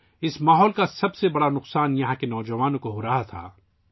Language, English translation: Urdu, The biggest brunt of this kind of environment was being borne by the youth here